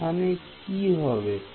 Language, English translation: Bengali, So, what will happen over here